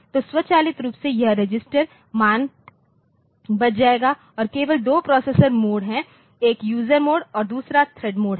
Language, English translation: Hindi, So, the automatically this register values will be saved and there are only two processor modes; one is the user mode and another is a thread mode that thread mode or user mode